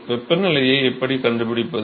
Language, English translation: Tamil, how do we find the temperature